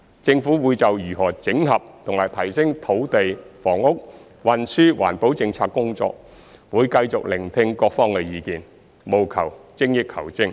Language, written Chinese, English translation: Cantonese, 政府會就如何整合和提升土地、房屋、運輸及環保政策工作，繼續聆聽各方意見，務求精益求精。, The Government will continue to listen to the views of all parties on how to consolidate and enhance the policies on land housing transport and environmental protection in order to strive for excellence